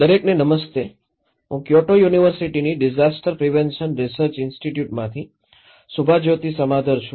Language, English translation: Gujarati, Hello, everyone, I am Subhajyoti Samaddar from the Disaster Prevention Research Institute, Kyoto University